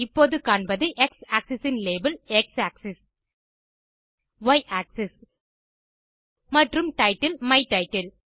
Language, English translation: Tamil, Now you see that the x axis label is X axis , Y axis and the title is My title